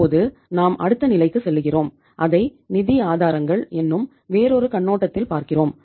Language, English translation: Tamil, Now we move to the next level and we look it from the other perspective, sources of financing